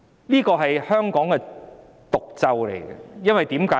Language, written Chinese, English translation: Cantonese, 這是香港的毒咒，為甚麼？, This is a venomous curse on Hong Kong . Why?